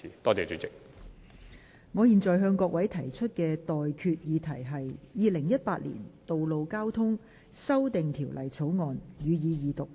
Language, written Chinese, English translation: Cantonese, 我現在向各位提出的待決議題是：《2018年道路交通條例草案》，予以二讀。, I now put the question to you and that is That the Road Traffic Amendment Bill 2018 be read the Second time